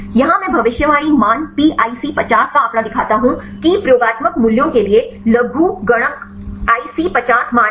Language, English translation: Hindi, Here the figure I show the predicted values pIC50 is logarithmic IC50 values to the experimental values